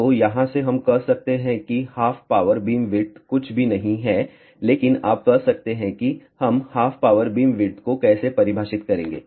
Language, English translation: Hindi, So, from here we can say half power beamwidth is nothing, but you can say that how we define half power beamwidth